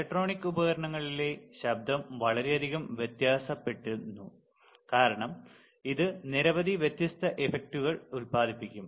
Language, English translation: Malayalam, Noise in electronic devices varies greatly as it can be produced by several different effects